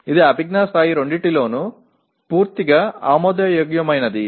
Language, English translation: Telugu, Perfectly acceptable in both the cognitive levels